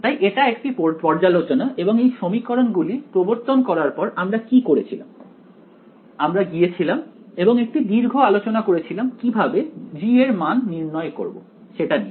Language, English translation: Bengali, So, this is just a revision for you and now the after we introduced these equations what did we do we went and had a long discussion how do we calculate g’s ok